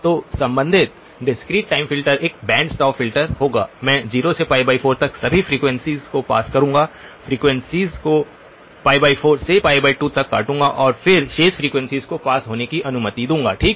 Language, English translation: Hindi, So the corresponding discrete time filter would be a band stop filter, I would pass all frequencies from 0 to pi divided by 4, cutoff the frequencies from pi divided by 4 to pi divided by 2 and then allow the remaining frequencies to pass through okay